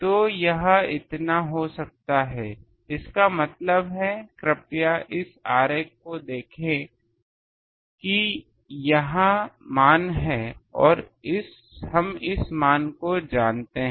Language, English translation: Hindi, So, it becomes so that means, please look at the diagram that this is this value and we know this value